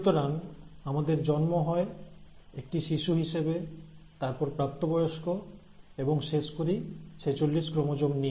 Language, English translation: Bengali, So then, we are formed as a child and then as an adult, we end up having forty six chromosomes